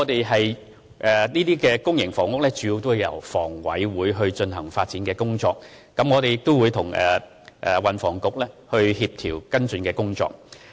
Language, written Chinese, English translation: Cantonese, 興建公營房屋的工作主要由房委會進行，我們亦會與運輸及房屋局協調跟進工作。, The construction of public housing is primarily undertaken by HKHA and we will follow up on coordination work with the Transport and Housing Bureau